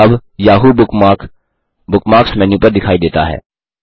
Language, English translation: Hindi, The Yahoo bookmark now appears on the Bookmark menu